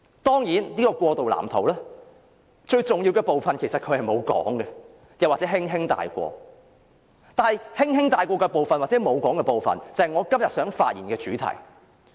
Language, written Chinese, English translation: Cantonese, 當然，北京並沒有明言，又或只是輕輕帶過這個過渡藍圖的最重要部分，但這正是我今天發言的主題。, Of course Beijing has not said it clearly or it has only touched lightly on the most important part of this transition blueprint . But this is exactly the theme of my speech today